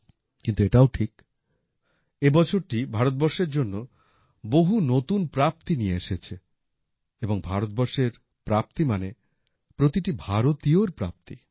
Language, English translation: Bengali, But it is also true that this year has been a year of immense achievements for India, and India's achievements are the achievements of every Indian